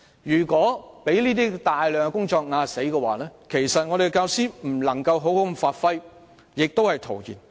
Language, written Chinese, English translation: Cantonese, 如果有大量工作積壓，令教師未能好好發揮所長，一切只會是徒然。, If a substantial backlog is built up which hence precludes teachers from effectively giving play to their expertise all the efforts made would only come to naught